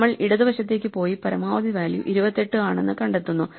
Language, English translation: Malayalam, We go to the left and find the maximum value is 28